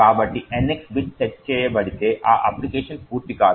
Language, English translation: Telugu, So, this application would not complete if the NX bit gets set